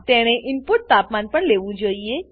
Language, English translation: Gujarati, It should also take an input temperature